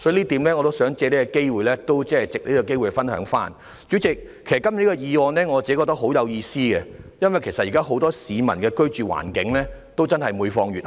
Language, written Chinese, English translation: Cantonese, 代理主席，其實我個人認為今天這項原議案非常有意思，因為現在很多市民的居住環境每況愈下。, Deputy President actually I consider the original motion today very meaningful because the living environment of many people now is deteriorating